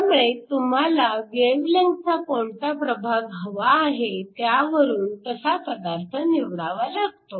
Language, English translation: Marathi, Again, you choose the material based upon the region of wavelength which you are interested in